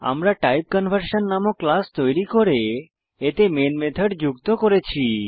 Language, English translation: Bengali, I have created a class TypeConversion and added the main method to it